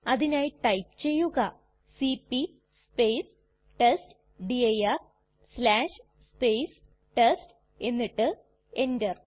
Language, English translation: Malayalam, For that we would type cp space testdir slash test and press enter